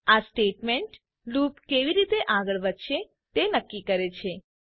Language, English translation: Gujarati, This statement decides how the loop is going to progress